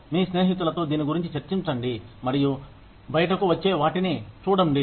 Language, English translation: Telugu, Just discuss this, with your friends, and see what comes out